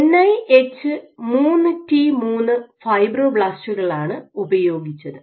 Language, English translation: Malayalam, So, they used NIH 3T3 fibroblasts